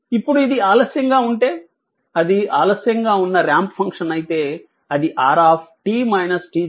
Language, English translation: Telugu, Now if it is delayed, if for that if that if it is delayed ramp function then it will be r t minus t 0, right